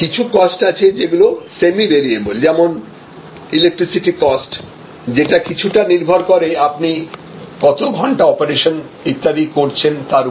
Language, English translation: Bengali, There will be some of the costs are semi variable like the electricity cost, to some extent it will be variable with respect to your hours of operation and so on